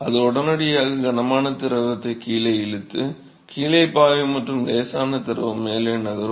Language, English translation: Tamil, It will immediately pull the heavy fluid to the, to flow below and light fluid will move up